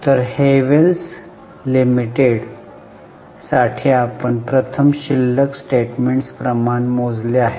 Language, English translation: Marathi, So, for Havels Limited, we have calculated first the balance sheet ratios, three important ratios